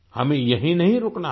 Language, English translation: Hindi, We must not stop here